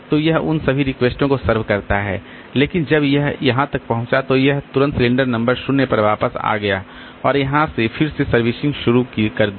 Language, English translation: Hindi, So, it served all this request but when it reached here then it immediately came back to the cylinder number 0 and started servicing again from here